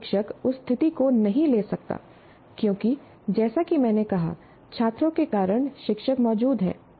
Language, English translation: Hindi, You cannot take that situation because, as I said, we exist because of the students